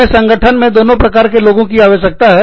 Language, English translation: Hindi, We need, both kinds of people, in the organization